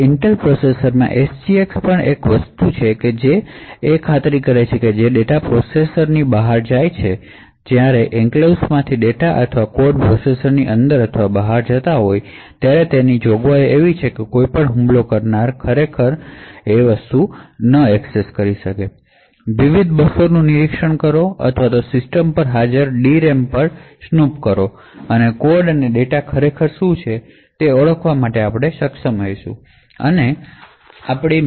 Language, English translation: Gujarati, Now one thing what the SGX in the Intel processors also achieve is that it ensures that when data goes outside the processor that is if data or code from the enclave is going in or out of the processor it has provisions to ensure that no attacker could actually monitor the various buses or snoop at the D RAM present on the system and would be able to actually identify what the code and data actually is or this is achieved by having memory encryption